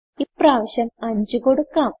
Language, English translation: Malayalam, I will give 5 this time